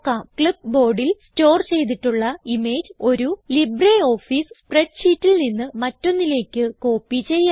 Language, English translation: Malayalam, One can copy images stored on the clipboard, from one LibreOffice spreadsheet to another